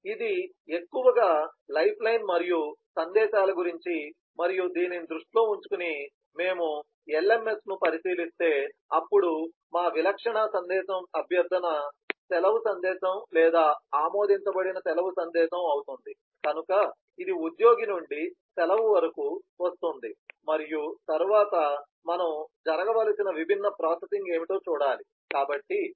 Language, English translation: Telugu, so that is mostly about the lifeline and messages and in view of this, if you look into the lms, then our typical message would be a request to leave message or approved leave message, so it will come from an employee to the leave and then we will have to see what should be the different processing that should happen